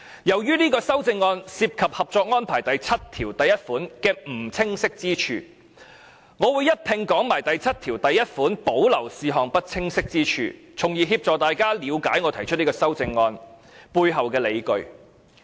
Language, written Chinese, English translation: Cantonese, 由於這項修正案涉及《合作安排》第七1條的不清晰之處，我會一併談論第七1條保留事項的不清晰之處，從而協助大家了解我提出這項修正案背後的理據。, Since the amendment involves the ambiguity in Article 71 of the Co - operation Arrangement I will also discuss the ambiguity concerning the reserved matter under Article 71 so as to facilitate Members in understanding my justification for proposing this amendment